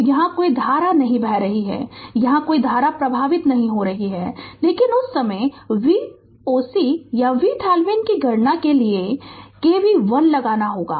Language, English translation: Hindi, So, no current is flowing here; no current is flowing here, but at that time of computation of V oc or V Thevenin we have to we have to apply k V l